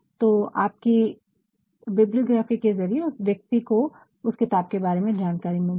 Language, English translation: Hindi, So, through your bibliography he or she must get the information of a particular book